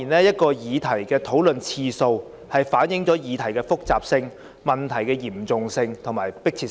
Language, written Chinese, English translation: Cantonese, 一項議題的討論次數，反映議題的複雜性、嚴重性及迫切性。, The number of times a subject is discussed reflects its complexity seriousness and urgency